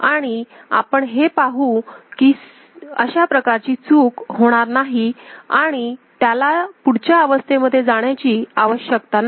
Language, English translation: Marathi, And we shall see that those kind of glitch will not occur, it does not require to go to next state